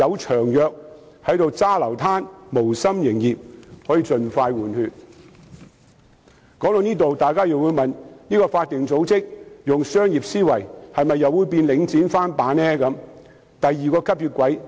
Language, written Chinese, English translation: Cantonese, 說到這裏，可能大家會問該法定組織採用商業思維，會否變成"領展翻版"、另一個吸血鬼呢？, Moreover replacement can take place expeditiously . Having come to this point Members may ask this question Will that statutory body adopt a commercial mindset thereby turning itself into a replica of Link REIT or another vampire?